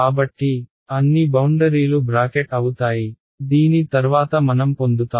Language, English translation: Telugu, So, all the boundaries are brackets after this is what I get ok